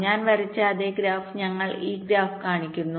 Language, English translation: Malayalam, ah, here we show this graph, that same graph i had drawn